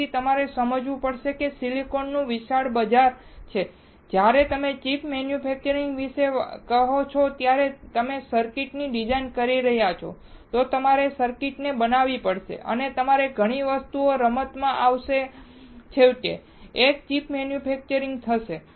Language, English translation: Gujarati, So, you have to understand that the silicon has a huge market and when you say about chip manufacturing, that means, you are designing the circuit, then you have to fabricate the circuit and you require lot of things to come into play to finally, manufacture a single chip